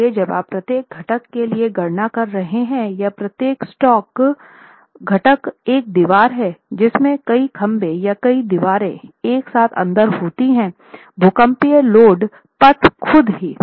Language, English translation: Hindi, So, when you are making the calculations for each component or each, when you are talking of component it is one wall with several peers or the wall together, several walls together in the seismic load path itself